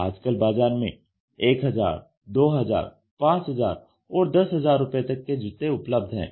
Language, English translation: Hindi, Today you have shoes for 1000, 2000 and 5000 rupees or 10000 rupees